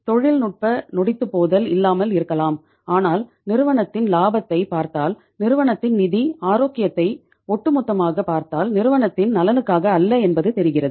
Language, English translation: Tamil, Technical insolvency may not be there but if you look at the profitability of the firm if you look at the overall say uh financial health of the organization that is not in the interest of the company